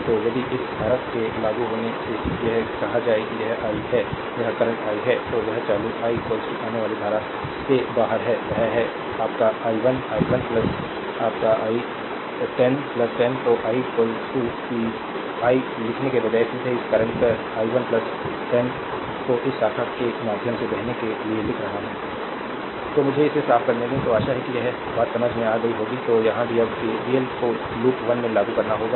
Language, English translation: Hindi, So, if you apply than this current say it is i, this current is i, right then it is out going current i is equal to incoming current ; that is, your i 1 i 1 plus your plus 10 , right so, i is equal to that, instead of writing I directly we are writing this current i 1 plus 10 flowing through this branch , right